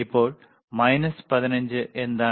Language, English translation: Malayalam, Now, what is minus 15